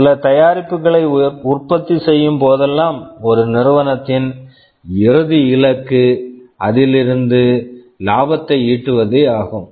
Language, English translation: Tamil, See a company whenever it manufactures some products the ultimate goal will be to generate some profit out of it